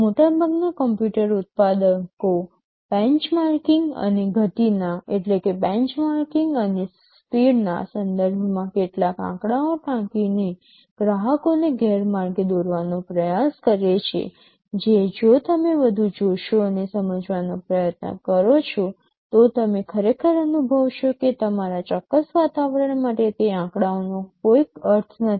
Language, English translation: Gujarati, Most of the computer manufacturers try to mislead the customers by quoting some figures with respect to benchmarking and speeds, which if you dig deeper and try to understand, you will actually feel that for your particular environment those numbers make no sense